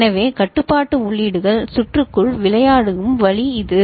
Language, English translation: Tamil, So, this is the way the control inputs play into the circuit